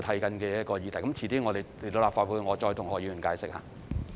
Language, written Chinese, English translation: Cantonese, 稍後來到立法會，我再跟何議員解釋。, I will explain this to Dr HO again when I come to this Council later